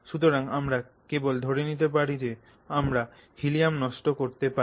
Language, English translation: Bengali, So, you cannot, you know, just assume that you can waste helium